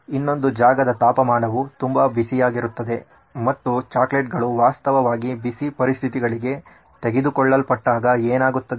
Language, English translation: Kannada, The only problem is that the other geography is very hot and so what happens when chocolates actually are taken to hot conditions